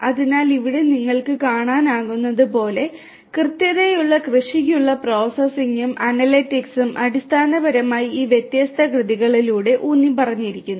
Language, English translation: Malayalam, So, as you can see over here processing and analytics for precision agriculture is basically emphasized through these different works